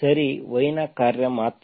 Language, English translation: Kannada, Okay, a function of y only